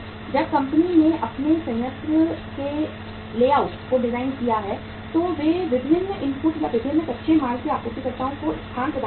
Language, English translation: Hindi, When the company has designed the layout of their plant they provide the space to the suppliers of different inputs or different raw materials